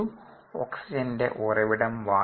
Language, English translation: Malayalam, the source of oxygen was air